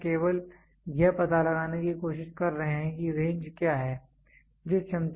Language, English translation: Hindi, So, we are just trying to find out trying to explain out what is the range